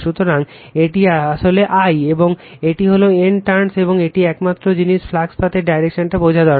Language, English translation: Bengali, So, this is actually I, and this is N turns, and this is the only thing need to understand the direction of the flux path